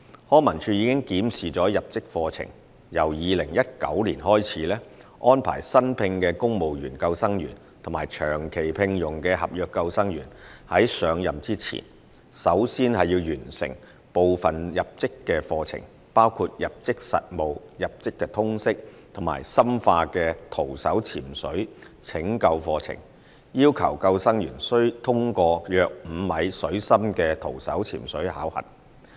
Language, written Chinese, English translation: Cantonese, 康文署已檢視入職課程，由2019年開始，安排新聘的公務員救生員及長期聘用的合約救生員在上任前，首先完成部分入職課程，包括入職實務、入職通識及深化的徒手潛水拯救課程，要求救生員須通過約5米水深的徒手潛水考核。, Starting from 2019 LCSD will arrange for newly employed civil service lifeguards and NCSC lifeguards on long - term employment to complete part of the induction programme before assuming duties which include introductory practical training general training and courses on advanced skills of skin diving rescue and require them to pass a five - metre depth skin diving test